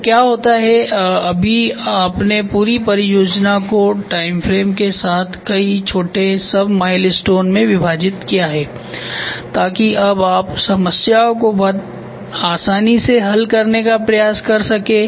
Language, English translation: Hindi, So, what happens is just now you have split the entire project into several small sub milestones along with timeframes so that now you can try to solve the problem very easily